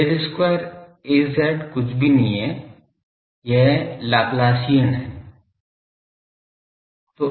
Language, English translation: Hindi, Del square Az is nothing, but this the Laplacian